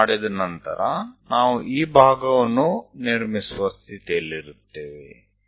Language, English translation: Kannada, So, once it is done, we will be in a position to construct this part